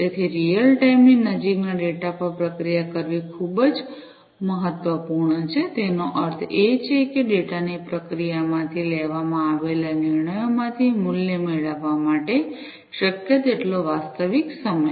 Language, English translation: Gujarati, So, it is very important to process the data in real near real time; that means as much real time as possible in order to be able to have value out of the decisions, that are made out of the processing of the data